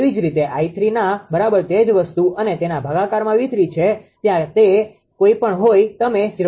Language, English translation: Gujarati, Similarly i 3 is equal to same thing divided by your V 3 conjugate whatever it is there right you will get 0